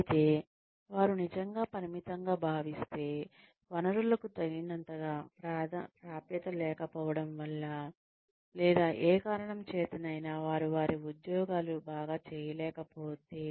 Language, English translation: Telugu, Whereas, if they are really, feeling limited, because of the lack of access to resources, or for whatever reason, they , they do not know enough, to perform their jobs, well